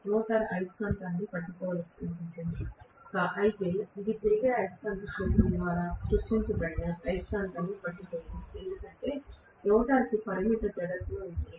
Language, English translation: Telugu, The rotor is wanting to catch up with the magnet, but it cannot catch up with the magnet which is created by the revolving magnetic field because the rotor has a finite inertia